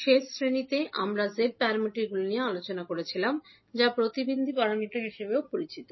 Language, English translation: Bengali, Namaskar, so in the last class we were discussing about the Z parameters that is also called as impedance parameters